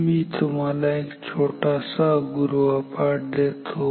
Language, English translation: Marathi, I will give you a small home work may be